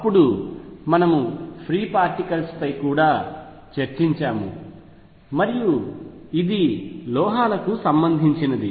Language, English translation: Telugu, Then we have also discussed free particles and this was related to metals